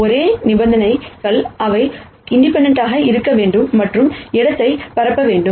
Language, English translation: Tamil, The only conditions are that they have to be independent and should span the space